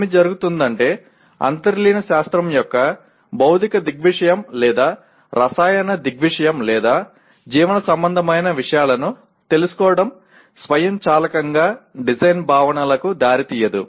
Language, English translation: Telugu, What happens is, knowing the underlying science or physical phenomena or chemical phenomena or biological phenomena it does not automatically lead to design concepts